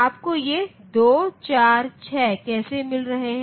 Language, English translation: Hindi, How are you getting this 2 4 6 these numbers